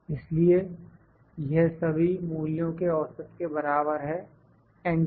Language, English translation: Hindi, So, this is equal to average of all these values, enter